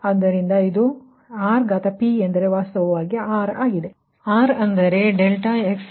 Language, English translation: Kannada, actually, r is like this, right